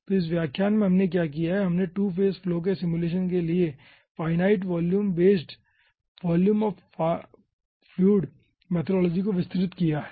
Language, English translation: Hindi, so in this lecture, what we have done, we have elaborated finite volume based volume of fluid methodology for simulation of 2 phase flow, basic constitutive equations for volume fraction calculation